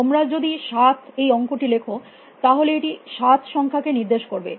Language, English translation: Bengali, If you write the numeral seven, it stand for the number seven